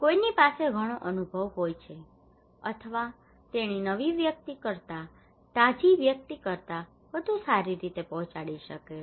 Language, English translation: Gujarati, Somebody has lot of experience he or she can deliver much better than a new person a fresh person